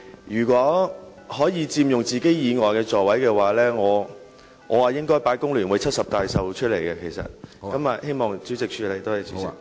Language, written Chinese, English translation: Cantonese, 如果議員可以佔用其座位以外的座位，我便會將"工聯會70大壽"的道具擺放在那些座位上。, If Members can occupy seats other than their own I am going to put the 70 Anniversary of the Federation of Trade Unions props on those seats